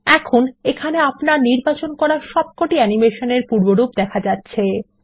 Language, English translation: Bengali, Click Play The preview of all the animations you selected are played